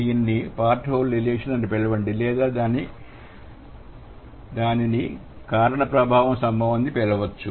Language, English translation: Telugu, Either you call it part whole relation or you can call it cause effect relation